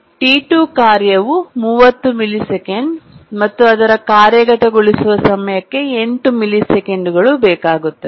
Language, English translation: Kannada, The task T2 requires 8 millisecond execution time but has a period 30 millisecond